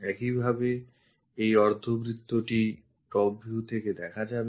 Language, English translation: Bengali, Similarly, this semicircle is visible from the top view